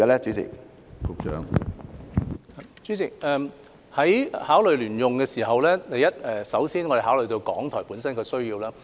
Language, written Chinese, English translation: Cantonese, 主席，在考慮聯用大樓的時候，我們首先考慮港台本身的需要。, President when it comes to the proposal on a joint - user building we first consider the needs of RTHK itself